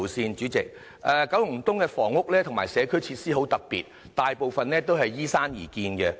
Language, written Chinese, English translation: Cantonese, 代理主席，九龍東的房屋和社區設施很特別，大部分是依山而建的。, Deputy President the housing estates and community facilities in East Kowloon are quite unique as they are mostly built on hillsides